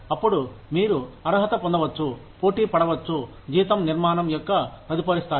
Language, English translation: Telugu, Then, you can become eligible, to compete, for the next level of the salary structure